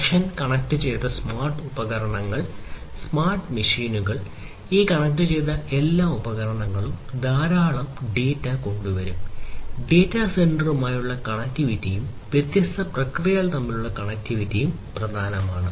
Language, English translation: Malayalam, Connection connected smart devices, connected smart machines, connected, and all of these connected devices will bring in lot of data; so connectivity with the data center and connectivity between the different processes